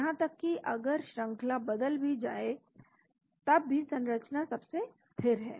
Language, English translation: Hindi, Even if sequences change the structure is most stable